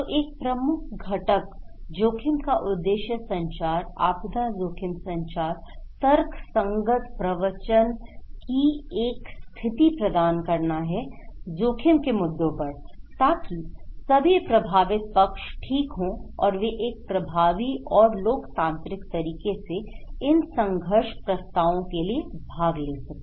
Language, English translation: Hindi, So, one of the key component, objective of risk communication, disaster risk communication is to provide a condition of rational discourse on risk issues, so that all affected parties okay they can take part in an effective and democratic manner for conflict resolutions